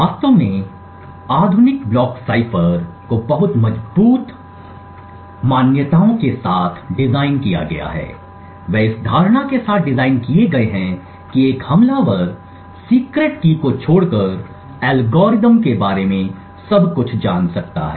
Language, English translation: Hindi, To actually start off with, the modern block ciphers are designed with very strong assumptions so they are infact designed with the assumption that an attacker could know everything about the algorithm except the secret key